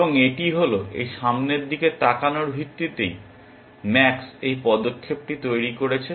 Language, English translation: Bengali, And it is, it is on a basis of this look ahead that max has made this move